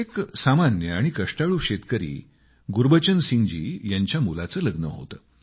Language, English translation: Marathi, The son of this hard working farmer Gurbachan Singh ji was to be married